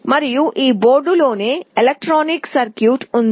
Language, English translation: Telugu, And in this board itself there is some electronic circuitry